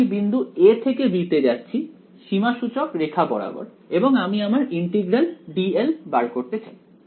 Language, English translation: Bengali, So, I am going from the point a to b along the contour and I want to find out integral d l ok